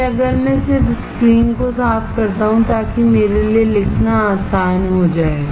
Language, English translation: Hindi, Then, if I just clear the screen, so that it becomes easy for me to write